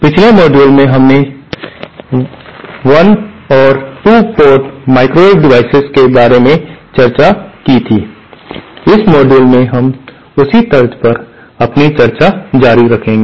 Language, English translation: Hindi, In the previous module we had discussed about 1 and 2 port microwave devices, in this module we will continue our discussion on the same lines